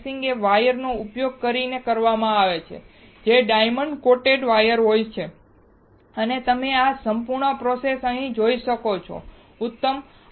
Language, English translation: Gujarati, Slicing is done using the wires which are diamond coated wire and you can see this whole process here, excellent